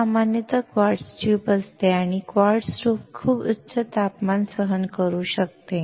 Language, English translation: Marathi, This is generally a quartz tube and quartz can withstand very high temperature